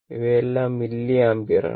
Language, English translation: Malayalam, These are all milliampere, right